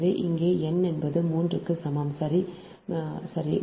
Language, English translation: Tamil, here m is equal to two, n is equal to three, right